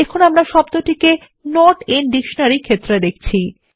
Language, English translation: Bengali, So we see the word in the Not in dictionary field